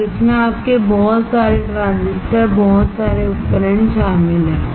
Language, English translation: Hindi, And that consists of your lot of transistors, lot of devices